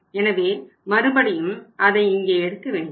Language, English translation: Tamil, So we will not take it again now